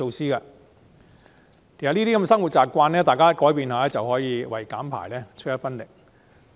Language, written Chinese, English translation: Cantonese, 其實，只要大家改變一下生活習慣，便可以為減排出一分力。, In fact if we slightly change our habits we can contribute to reducing emissions